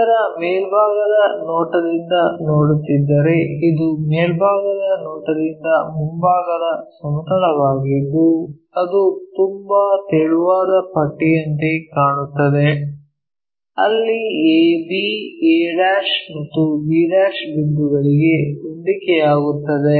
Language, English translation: Kannada, If we are looking from top view of this, this is the frontal plane from top view it looks like a very thin strip, where a b coincides to a and b points